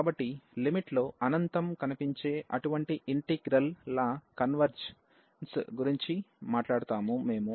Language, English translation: Telugu, So, we will be talking about the convergence of such integrals where infinity appears in the in the limit